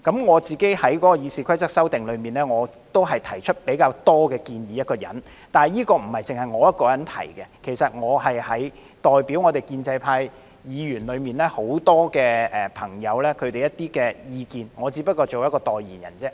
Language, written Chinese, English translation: Cantonese, 我個人在《議事規則》修訂裏，是提出比較多建議的一人，但這不只是我一人提出，其實我是代表建制派議員中很多朋友提出這些意見，我只是代言人而已。, During this RoP amendment exercise I am the one who have put forth relatively more proposals . However I have done this not merely in my personal capacity . Actually I have expressed those views on behalf of many friends from the pro - establishment camp